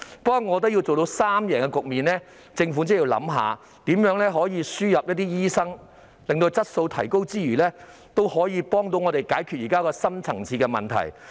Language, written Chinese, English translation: Cantonese, 不過，我覺得要做到三贏局面，政府便真的要考慮如何輸入一些醫生，此舉能夠在提高質素之餘，亦有助解決現時的深層次問題。, However I think that in order to achieve a win - win - win situation the Government really has to consider how to import some doctors . This will not only improve the quality but also help solve the deep - seated problems before us